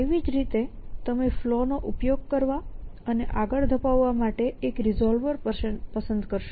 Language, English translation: Gujarati, Likewise you would choose one resolver to use of flaw and carry forward